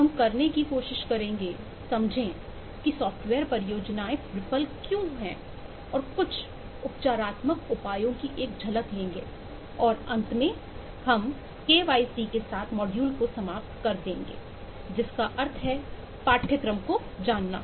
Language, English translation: Hindi, we will try to understand why software projects fail and take a glimpse into some of the remedial measures and finally, we will end the module with the kyc, that is know, your course, that is what we are going to cover in this whole